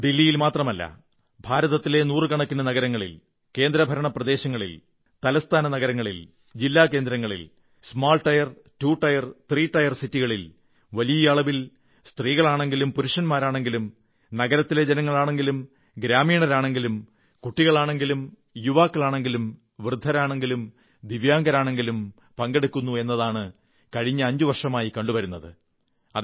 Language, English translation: Malayalam, The last five years have witnessed not only in Delhi but in hundreds of cities of India, union territories, state capitals, district centres, even in small cities belonging to tier two or tier three categories, innumerable men, women, be they the city folk, village folk, children, the youth, the elderly, divyang, all are participating in'Run for Unity'in large numbers